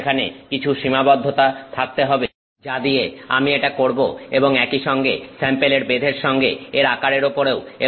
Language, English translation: Bengali, So, some restrictions would be there on what I can do with it and also the size of the sample in addition to the thickness